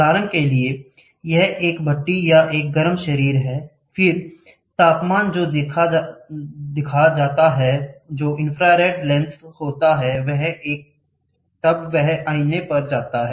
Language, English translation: Hindi, For example, this is a furnace or a hot body, then the temperature which is seen, which is getting the infrared lens is there then, it goes to a mirror